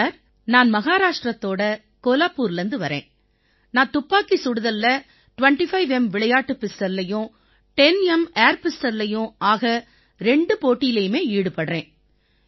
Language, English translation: Tamil, Sir I am from Kolhapur proper, Maharashtra, I do both 25 metres sports pistol and 10 metres air pistol events in shooting